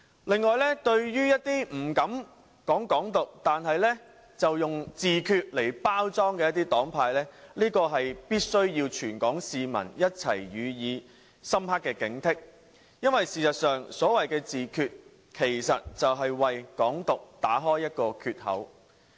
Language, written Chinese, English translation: Cantonese, 此外，對於一些不敢倡議"港獨"但卻採用自決來包裝的黨派，全港市民需要一起予以深刻警惕，因為所謂的自決，其實就是為"港獨"打開一個缺口。, In addition Hong Kong people should be wary of parties who do not dare advocate Hong Kong independence but use self - determination to package themselves because their so - called self - determination is actually opening the floodgates to Hong Kong independence